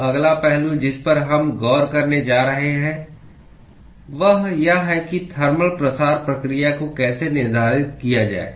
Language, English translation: Hindi, So, the next aspect we are going to look at is how to quantify the thermal diffusion process